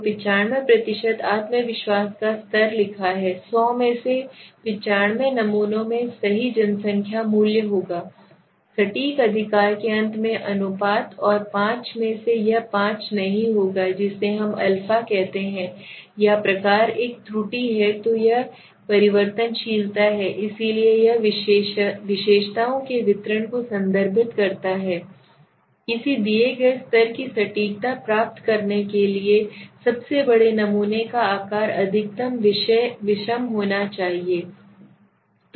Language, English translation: Hindi, So 95% confidence level is written 95 out of 100 samples will have the true population value in the ratio in the end of the precision right and 5 will not have this five is what we call the alpha or the type one error okay so this is the variability so it refers to the distribution of the attributes the more heterogeneous of the largest sample size is required to obtain a given level of precision okay